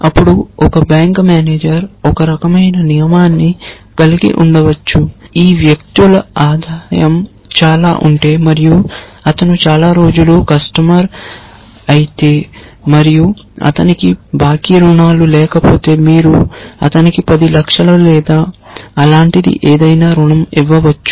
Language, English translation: Telugu, Then a bank manager may have a rule of certain kind that if this persons income is so much and if he is been a customer for so many days and if he has no outstanding loans then you can give him a loan of whatever 10 lacs or something like that